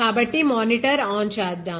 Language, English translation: Telugu, So, let me switch on the monitor